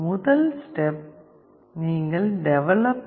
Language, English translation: Tamil, First step is you have to go to developer